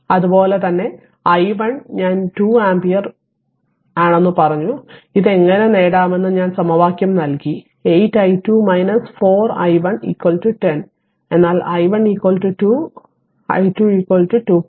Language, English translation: Malayalam, And similarly i 1 I told you 2 ampere and I gave the equation how to get it, 8 i 2 minus 4 i 1 is equal to 10, but i 1 is equal to 2 so, you will get i 2 is equal to 2